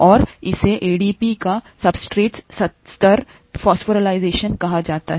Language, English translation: Hindi, And that is called substrate level phosphorylation of ADP